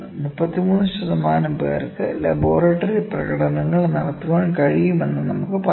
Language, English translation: Malayalam, We can say let me say 33 percent could laboratory demonstrations